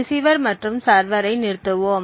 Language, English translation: Tamil, So, let us stop the receiver and the server